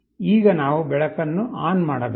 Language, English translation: Kannada, Now, we have to switch ON the light